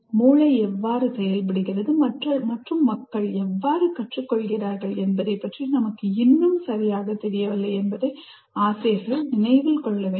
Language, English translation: Tamil, And you should also remember, the teacher should remember, we still do not know very much how brain functions and how people learn